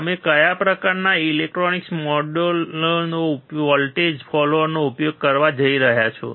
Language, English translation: Gujarati, In which kind of electronic modules are you going to use voltage follower